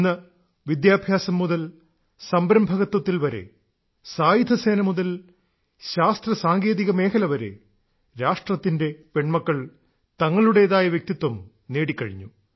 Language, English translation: Malayalam, Today, from education to entrepreneurship, armed forces to science and technology, the country's daughters are making a distinct mark everywhere